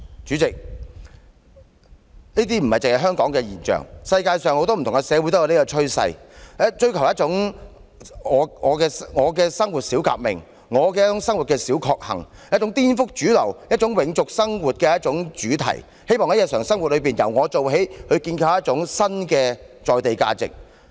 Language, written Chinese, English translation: Cantonese, 主席，這不僅是香港的現象，世界上很多社會也有這種趨勢，追求"我的生活小革命"，"我的生活小確幸"，一種顛覆主流、永續生活的主題，希望在日常生活中由我做起，建構一種新的在地價值。, Around the world there are people looking for little revolution and small bliss in life . This is an attitude which subverts the mainstream and upholds sustainability . These people are willing to be the first to make changes in daily life so as to establish new values with their feet on the ground